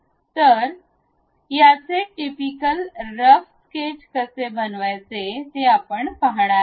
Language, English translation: Marathi, So, how to construct it a typical rough sketch, we are going to see